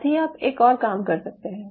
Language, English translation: Hindi, so you can parallely do one more thing